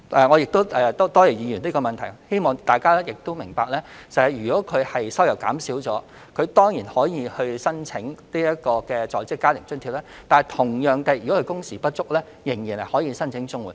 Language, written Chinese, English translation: Cantonese, 我多謝議員提出這項質詢，也希望大家明白，市民如果收入減少，當然可以申請在職家庭津貼；同樣地，如果工時不足，仍然可以申請綜援。, I thank the Member for asking this supplementary question . I also hope that Members will understand that a person with reduced income can certainly apply for Working Family Allowance . Similarly he can also apply for CSSA if he is underemployed